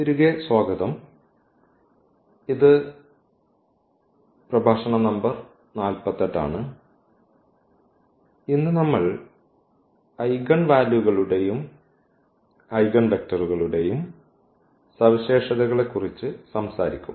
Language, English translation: Malayalam, ) So, welcome back and this is lecture number 48 and today we will talk about the properties of Eigenvalues and Eigenvectors